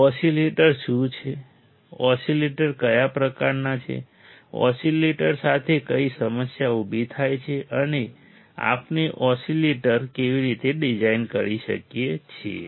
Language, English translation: Gujarati, What are oscillators, what are kind of oscillators, what are the problem arises with oscillators, and how we can design oscillators alright